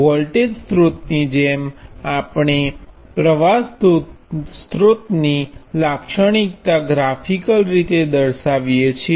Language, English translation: Gujarati, As with the voltage source we depict the characteristic of a current source graphically